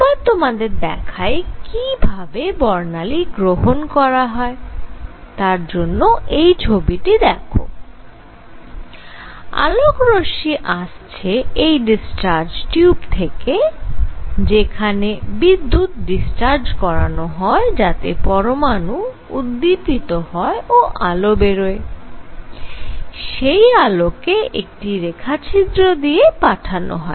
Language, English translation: Bengali, So, what I want to show now how is this spectrum taken and for that symbolically, I show you this picture where the light is coming from a; this is discharge tube where electricity is discharged so that the atoms get excited and light comes out, the light is taken through a slit